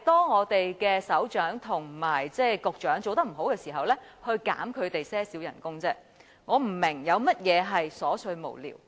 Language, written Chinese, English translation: Cantonese, 我們的首長和局長做得不好，我們只是要求削減他們少許薪酬而已，我不明白有甚麼是瑣碎無聊。, Our directorate grade officers and bureau secretaries did not perform well so I just ask to reduce a small amount of their salaries and I do not understand why it is trivial and senseless